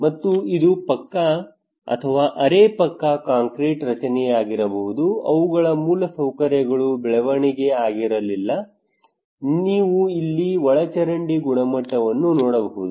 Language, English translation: Kannada, And it could be pucca or semi pucca concrete structure, their infrastructures were not grooved, you can see the drainage quality here